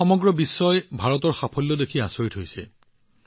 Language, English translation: Assamese, The whole world, today, is surprised to see the achievements of India